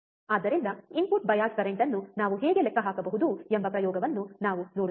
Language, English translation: Kannada, So, we will see the experiment of how we can calculate the input bias current, alright